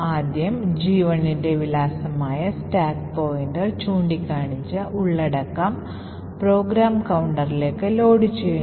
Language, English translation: Malayalam, First the address of G1 gets taken from this particular location which is pointed to by the stack pointer and loaded in the program counter